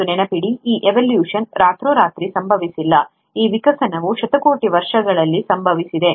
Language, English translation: Kannada, And mind you, this evolution has not happened overnight, this evolution has happened over billions of years